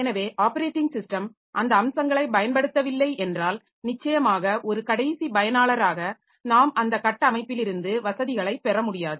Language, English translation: Tamil, So, if the operating system does not exploit those features, then of course as an end user we cannot get facilities from that architecture